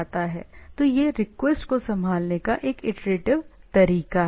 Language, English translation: Hindi, So, it is a iterative way of handling the thing